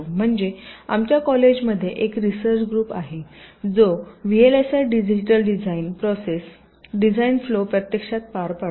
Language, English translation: Marathi, ah, i means there is a research group in our college who actually carry out the v l s i digital design process, design flow